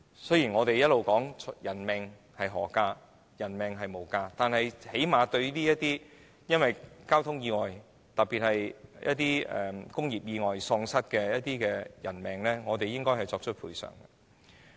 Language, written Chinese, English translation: Cantonese, 雖然我們一直說人命無價，但最低限度政府應對因交通意外，以及特別是工業意外喪失的人命作出賠償。, While we have been saying that human lives are priceless the Government should at least offer compensation for the loss of human lives in traffic accidents and especially industrial accidents